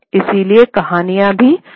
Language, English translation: Hindi, So the stories then moved to Lucknow